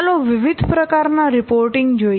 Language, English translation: Gujarati, See, let's see the different kinds of reporting